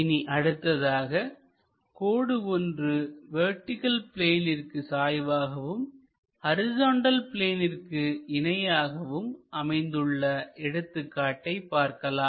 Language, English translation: Tamil, Let us look at another case where a line is inclined to vertical plane and it is parallel to horizontal plane